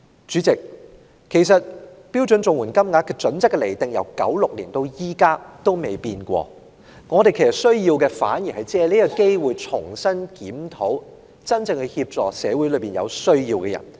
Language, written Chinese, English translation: Cantonese, 主席，其實標準綜援金額準則的釐定自1996年至今未有任何改變，我們需要的反而是藉今次機會重新檢討如何真正協助社會上有需要的人。, President the criteria for determining the standard rates of CSSA have actually remained unchanged since 1996 . It is nonetheless necessary for us to take this opportunity to re - examine how best we may offer genuine help to those in need in society